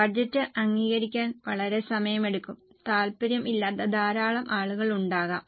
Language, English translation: Malayalam, It takes a long time to approve the budget and there may be a lot of people having wasted interests